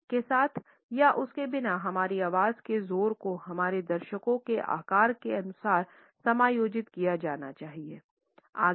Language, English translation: Hindi, The loudness of our voice with or without a mike should be adjusted to the size of our audience